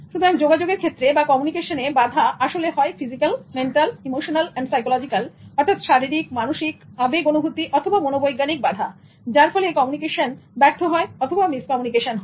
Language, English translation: Bengali, So, barriers actually act as physical, mental, emotional, psychological blocks and they result in failure of communication or miscommunication